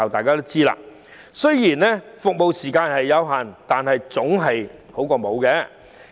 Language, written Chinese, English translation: Cantonese, 不過，即使服務時間有限，但總較沒有的好。, Yet even though the service hours are much limited it is better than none after all